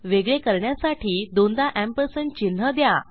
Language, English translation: Marathi, Separated these with a double ampersand sign